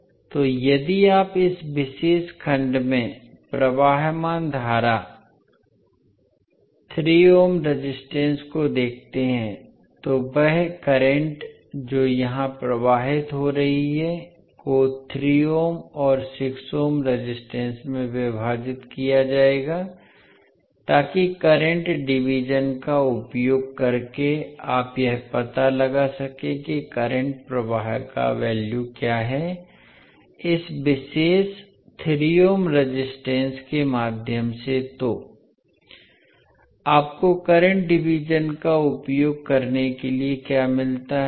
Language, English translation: Hindi, So, if you see the current flowing in this particular segment that is 3 ohm resistance will be the current which is flowing here will be divided in 3 ohm and 6 ohm resistance so using current division you can find out what is the value of current flowing in the through this particular 3 ohm the resistance